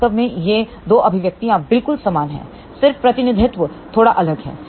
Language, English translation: Hindi, In fact, these 2 expressions are exactly identical just that the representation is slightly different